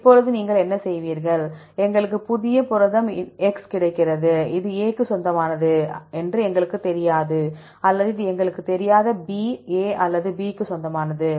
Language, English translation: Tamil, Now, what you will do is, we get the new protein x, we do not know this belongs to A or this belongs to B, A or B we do not know